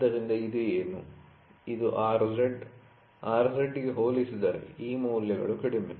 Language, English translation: Kannada, So, what is this, this is R z, as compared to R z this values are less